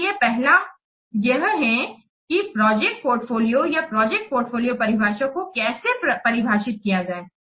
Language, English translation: Hindi, So this is this first how to define the project portfolio or project portfolio definition